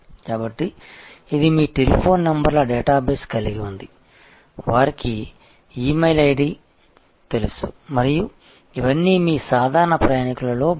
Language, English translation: Telugu, So, this is they have the data base of your telephone numbers, they know your E mail id and it is all part of on your regular traveler